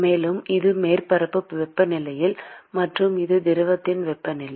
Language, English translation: Tamil, And this is the surface temperature; and this is the temperature of the fluid